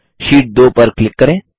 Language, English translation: Hindi, Lets click on Sheet2